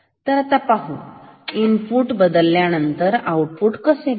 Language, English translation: Marathi, So, now, let us see how the output will change if we change the input ok